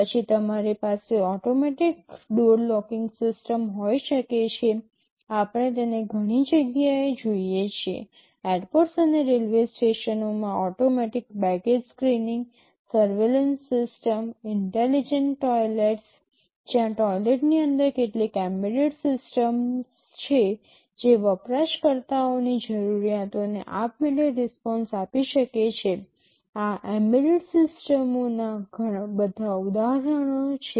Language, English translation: Gujarati, Then you can have automatic door locking systems we see it many places; automatic baggage screenings in airports and railway stations, surveillance systems, intelligent toilets, where there are some embedded systems inside toilets that can respond to users’ needs automatically these are all examples of embedded systems